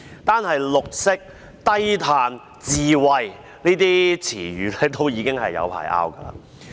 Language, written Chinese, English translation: Cantonese, 單說"綠色"、"低碳"、"智慧"這些詞語，已經要爭拗很長時間。, Just the words green low - carbon and smart alone will lead to lengthy arguments